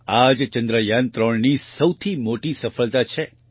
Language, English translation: Gujarati, This is the biggest success of Chandrayaan3